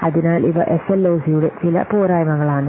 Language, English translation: Malayalam, So, these are some of the shortcomings of SLOC